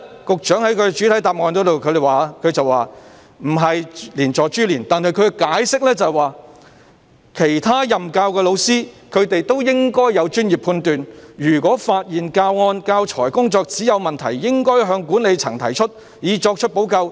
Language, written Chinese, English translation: Cantonese, 局長在主體答覆否認有關做法是連坐或株連，但他卻說："其他任教的教師，他們亦應有專業判斷，如果發現教案、教材和工作紙有問題，應向管理層提出，以作出補救。, While the Secretary denied in his main reply that such a move was collective punishment or implication he said As for other teachers teaching the topic they should have exercised their professional judgment and reported to the management when they found problems with the lesson plan teaching materials and worksheet so that remedial action could be taken